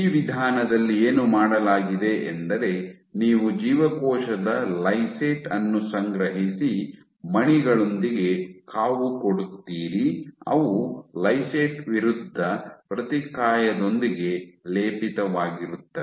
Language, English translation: Kannada, What is done in this approach is you collect the cell lysate and incubate with beads which are coated with antibody against a lysate